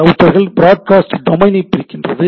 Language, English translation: Tamil, So, routers by default breaks up broadcast domain